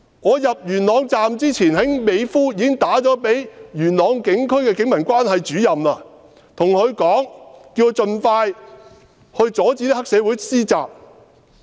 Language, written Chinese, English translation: Cantonese, 我入元朗之前，已在美孚致電元朗警區的警民關係主任，叫他盡快阻止黑社會施襲。, Before I left Mei Foo for Yuen Long I called the Police Community Relations Officer of the Yuen Long District and asked him to stop the triads attacks as soon as possible